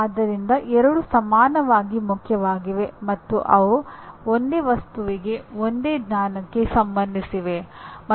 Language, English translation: Kannada, So both are equally important and they are related to the same object, same knowledge, okay